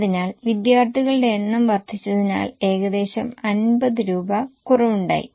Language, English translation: Malayalam, So, almost 50 rupees reduction has happened because number of students have gone up